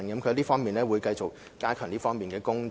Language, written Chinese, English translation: Cantonese, 教育局會繼續加強這方面的工作。, The Education Bureau will continue to enhance its work in this respect